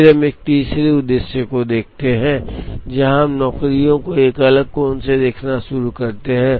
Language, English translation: Hindi, Then we look at a third objective, where we start looking at the jobs from a different angle